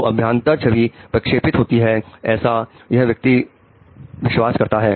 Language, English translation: Hindi, So, internal imagery is being projected and this person believes that